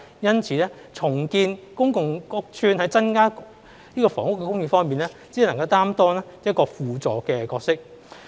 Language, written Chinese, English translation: Cantonese, 因此，重建公共屋邨在增加房屋供應方面，只能擔當輔助的角色。, Therefore redevelopment of public housing estates can only play a subsidiary role in increasing housing supply